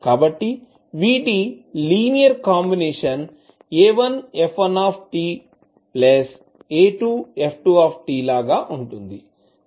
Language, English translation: Telugu, So their linear combination like a1 f1 t plus a2 f2 t